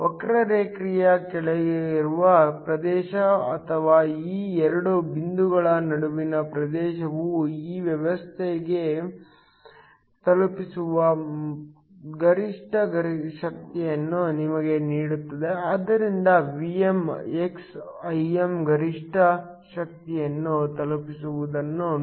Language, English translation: Kannada, The area under the curve or the area between these two points gives you the maximum power that is delivered to this system so Vm x Im see maximum power delivered